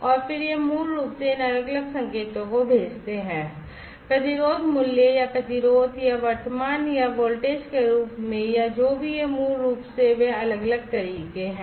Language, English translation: Hindi, And these then basically sent these different signals, in the form of resistance value or resistance or current or voltage or whatever these methods basically are they different other methods